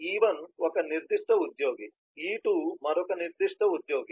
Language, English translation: Telugu, e1 is a specific employee, e2 is another specific employee